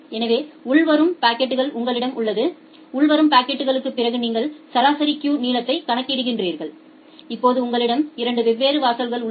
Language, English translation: Tamil, So, you have the incoming packet after incoming packet you compute the average queue length, now you have 2 different threshold